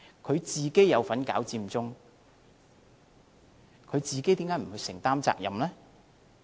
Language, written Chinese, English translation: Cantonese, 他有份搞佔中，為何不去承擔責任呢？, He had a part to play in organizing Occupy Central so why does he not take responsibility?